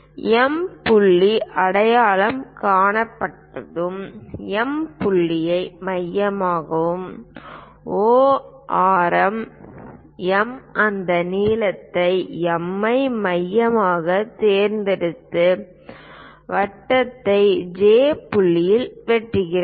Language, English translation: Tamil, Once M point is identified use M point as centre and radius O to M pick that length M as centre, cut the circle at point J